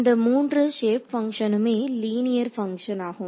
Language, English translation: Tamil, So, all of these 3 shape functions are linear functions ok